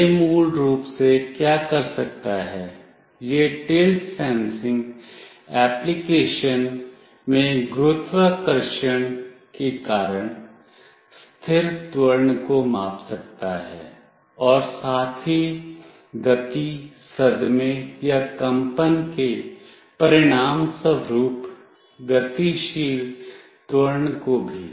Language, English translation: Hindi, What it can do basically it can measure the static acceleration due to gravity in tilt sensing applications as well as dynamic acceleration resulting from motion, shock or vibration